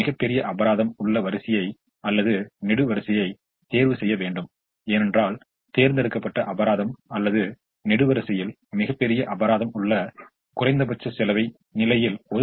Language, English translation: Tamil, so choose the row or column that has the largest penalty, because that large penalty we want to avoid by being able to allocate in the least cost position in the chosen row or column that has the largest penalty